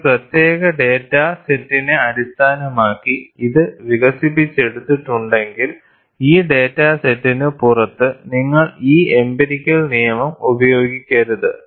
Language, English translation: Malayalam, And if it is developed based on a particular data set, you should not use this empirical law outside this data set